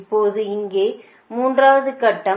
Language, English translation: Tamil, so this is the third step